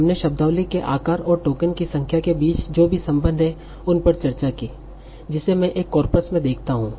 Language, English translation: Hindi, And we discussed what are the various relationships among the vocabulary size and the number of tokens that I observe in a corpus